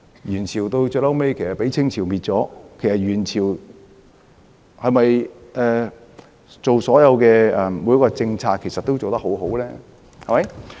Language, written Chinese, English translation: Cantonese, 元朝最終被明朝消滅，元朝所做的每一個政策是否都做得很好呢？, Yuan Dynasty was eventually replaced by Ming Dynasty . Were the policies implemented by the Yuen emperor all good?